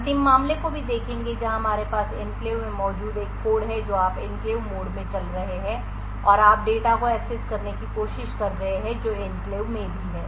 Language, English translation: Hindi, Will also look at the final case where we have a code present in the enclave that is you are running in the enclave mode and you are trying to access data which is also in the enclave